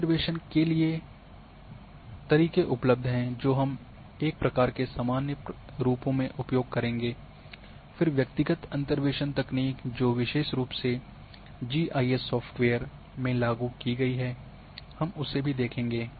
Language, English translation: Hindi, There are methods various methods are available for interpolation which we will go in a sort of generic forms then individual interpolation techniques which have been implemented specially in GIS software's so we will also see